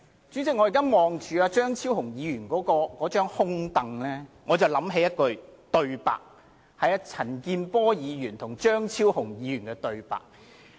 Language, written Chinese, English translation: Cantonese, 主席，我望着張超雄議員的空椅，不期然想起陳健波議員和張超雄議員的對話。, President in seeing the empty seat of Dr Fernando CHEUNG I naturally recall the conversation between Mr CHAN Kin - por and Dr Fernando CHEUNG